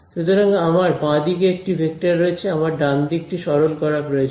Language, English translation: Bengali, So, I have a vector on the left hand side also, I need to simplify the right hand side right